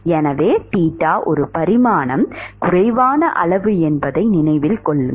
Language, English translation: Tamil, So, note that theta is a dimension less quantity